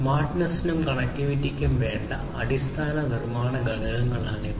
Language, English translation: Malayalam, So, these are the fundamental building blocks for smartness and connectivity